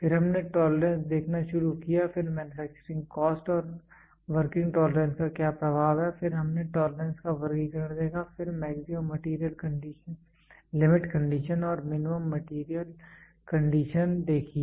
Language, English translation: Hindi, Then we started looking into tolerance, then what are the influence of manufacturing cost and working tolerance then we saw the classification of tolerance, then maximum material limit condition and minimum material condition